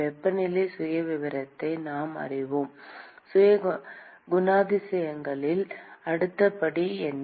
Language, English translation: Tamil, We know the temperature profile, what is the next step in characterizing